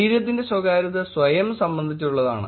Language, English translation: Malayalam, Bodily privacy is about self